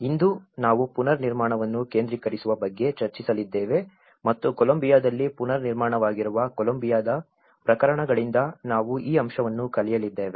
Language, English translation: Kannada, Today, we are going to discuss about decentralizing reconstruction and we are going to learn about this aspect from the cases of Colombian case which is reconstruction in Colombia